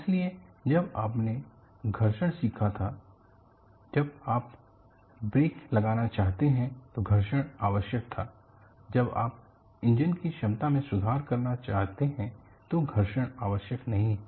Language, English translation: Hindi, So, when you had learned friction, friction was necessary when you want to have breaks; friction is not necessary when you want to improve the efficiency of the engine; so, the friction is needed as well as not needed